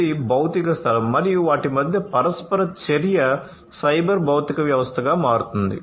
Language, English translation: Telugu, This is the physical space, right and the interaction between them will make it the cyber physical system